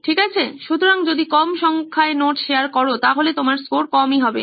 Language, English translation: Bengali, Okay, so low number of notes shared then you get low scores